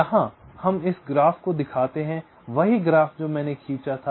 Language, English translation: Hindi, ah, here we show this graph, that same graph i had drawn